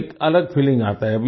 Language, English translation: Hindi, So it's a different feeling